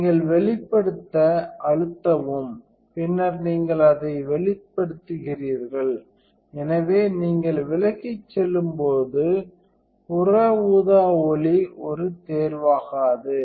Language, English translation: Tamil, So, you press expose and then you do exposure that, so when you turn away, so the UV light does not choice